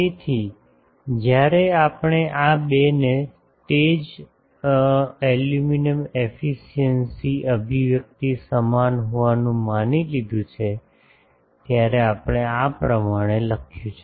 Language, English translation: Gujarati, So, when we have assumed these two to be same the illumination efficiency expression we have written as up to this we have done